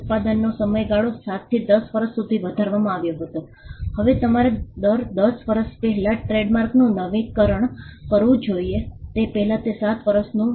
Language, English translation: Gujarati, The period of production was enhanced from 7 to 10 years, now you had to renew a trademark every 10 years earlier it was 7 years